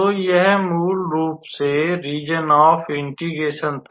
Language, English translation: Hindi, So, this one was basically our region of integration